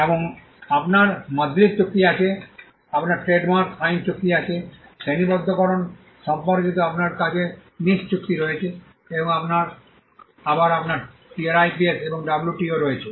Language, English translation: Bengali, And you have the MADRID treaties; you have the trademark law treaty; you have the NICE agreement on classification and again you have the TRIPS and the WTO